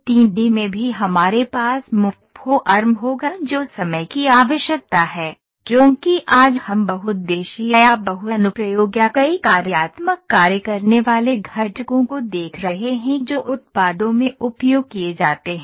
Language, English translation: Hindi, In 3 D also we will have free form which is the need of the hour, because today we are looking at multi multipurpose or multi application or multiple functional doing components which are used in the products